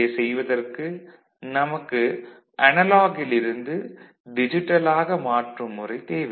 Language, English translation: Tamil, So, for which we need something which is called analog to digital conversion